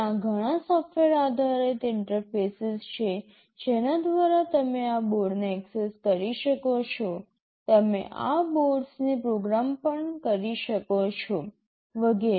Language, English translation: Gujarati, There are several software based interfaces through which you can access these boards, you can program these boards, and so on